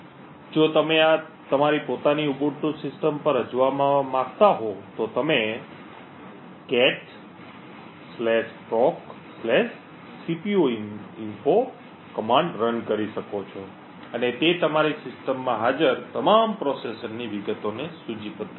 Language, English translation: Gujarati, If you want to try this on your own system which is running Ubuntu you can run the commands cat /proc/cpuinfo and it would list details of all the processor present in your system